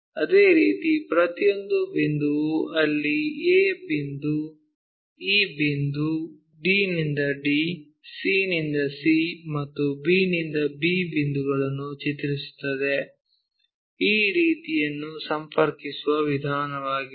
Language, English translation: Kannada, Similarly, each and every point mapped there a point, e point, d to d, c to c, b to b points, this is the way we connect these maps